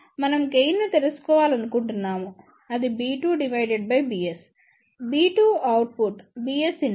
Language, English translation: Telugu, We want to find out the gain which is given by b 2 divided by b s; b 2 is the output, b s is the input